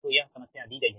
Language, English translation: Hindi, so thats why this problem